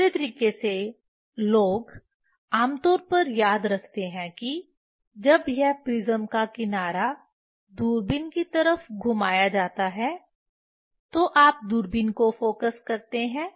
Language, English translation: Hindi, Other way people generally remember that when this prism edge that is rotated towards the telescope, you focus the telescope